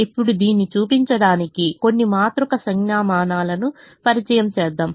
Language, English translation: Telugu, now let's introduce some matrix notation just to show this